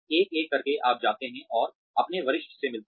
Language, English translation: Hindi, One by one, and you go, and meet your seniors